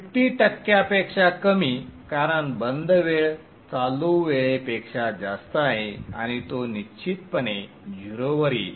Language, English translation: Marathi, Less than 50% no problem because the off time is greater than the on time and it will definitely come back to 0